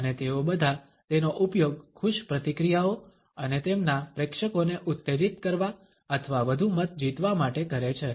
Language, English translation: Gujarati, And all home use it to engender happy reactions and their audiences or to win more votes